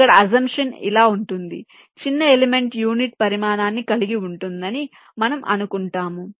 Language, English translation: Telugu, here the assumption is like this: we assume that the smallest element has unit size